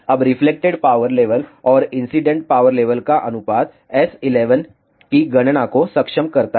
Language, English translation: Hindi, Now, the ratio of reflected power level and the incident power level enables the calculation of S11